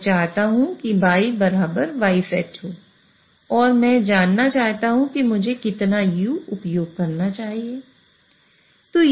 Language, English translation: Hindi, I want Y to be equal to Y set and I want to know what U should I use